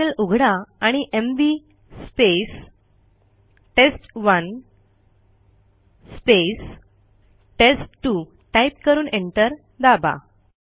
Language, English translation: Marathi, We open the terminal and type $ mv test1 test2 and press enter